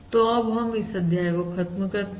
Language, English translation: Hindi, So we will stop this module here